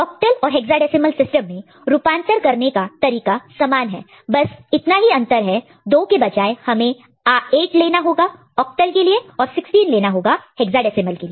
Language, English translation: Hindi, And for octal and hexadecimal system, the processes similar for the conversion but instead of 2 we are using 8 or 16 for octal and hexadecimal, respectively